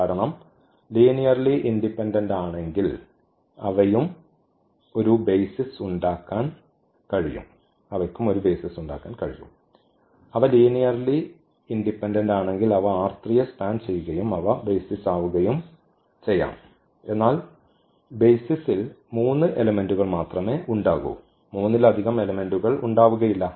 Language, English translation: Malayalam, Because, if they are linearly independent then they can form a basis also, if they are linearly independent and they span the R 3 then they can be also basis, but basis will have only 3 elements not more than 3 elements